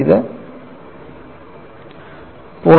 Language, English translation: Malayalam, 4 it is not 0